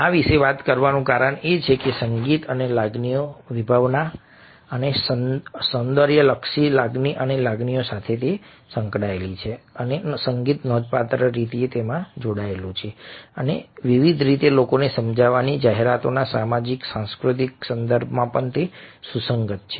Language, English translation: Gujarati, the reason for talking about this is because this associates the music with the concept of emotions and of esthetic emotion, and emotion and music are significantly linked and have relevance in the social, cultural context of advertising, a persuading people in different ways as well